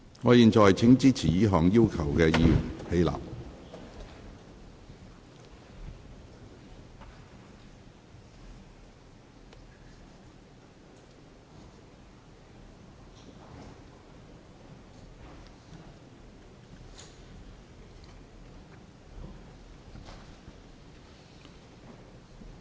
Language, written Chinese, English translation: Cantonese, 我現在請支持這項要求的議員起立。, I now call upon Members who support this request to rise in their places